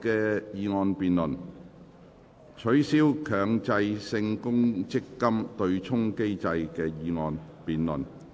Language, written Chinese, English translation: Cantonese, "取消強制性公積金對沖機制"的議案辯論。, The motion debate on Abolishing the Mandatory Provident Fund Offsetting Mechanism